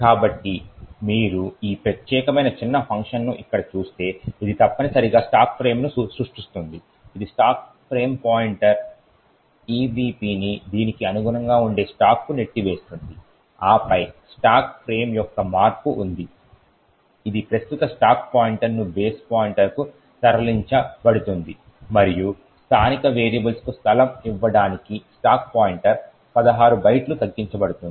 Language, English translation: Telugu, So, if you look at this particular small function over here which essentially creates the stack frame, it pushes the stack frame pointer, EBP on to the stack that corresponds to this and then there is a changing of stack frame that is the current stack pointer is moved to base pointer and then the stack pointer is decremented by 16 bytes to give space for the local variables